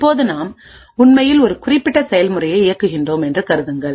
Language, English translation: Tamil, Now let us see what happens when we execute this particular program